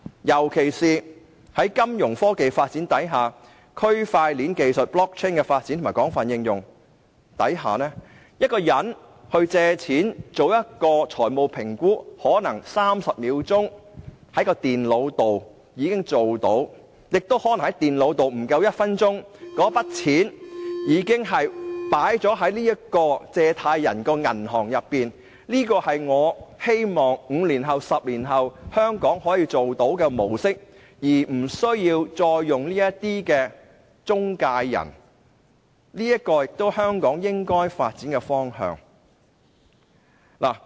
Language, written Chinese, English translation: Cantonese, 尤其是隨着金融科技發展，區塊鏈技術被廣泛應用，一個人借貸、做財務評估，使用電腦可能30秒就已經做到，亦可能不足1分鐘後，那筆款項已經存入借貸人的帳戶，這是我希望香港在5年、10年後可以做到的模式，而不再需要使用中介公司，這亦是香港應該發展的方向。, It might take only 30 seconds for a borrower to complete a financial assessment on a computer and less than one minute for the loan to be deposited into his account . This is the model I hope Hong Kong can put in place in five or 10 years so that intermediaries will no longer be needed . This is also the direction in which Hong Kong should develop